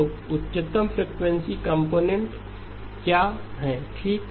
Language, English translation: Hindi, So what is the highest frequency component okay